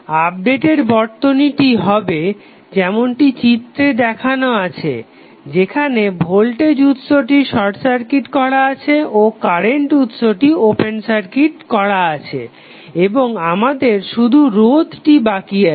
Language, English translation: Bengali, The updated circuit would look like as shown in the figure where voltage is voltage source is short circuited and current source is open circuited and we are left with only the resistances